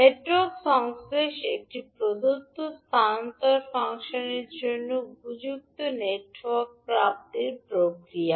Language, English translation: Bengali, Network Synthesis is the process of obtaining an appropriate network for a given transfer function